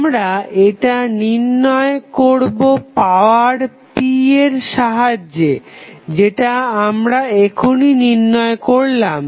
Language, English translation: Bengali, We find with the help of the power p, which we just calculated